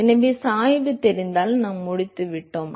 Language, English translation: Tamil, So, if we know the gradient we are done